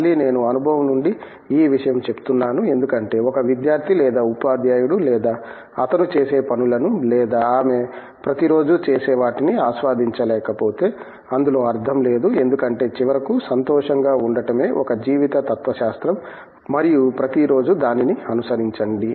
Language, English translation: Telugu, Again, I say this from experience because, if a student or a teacher or whoever is not going to enjoy what he does or she does every day, there is no motive because finally, that is a life philosophy that the objective is to be happy everyday and follow that